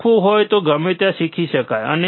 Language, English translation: Gujarati, Learning can be done anywhere if you want to learn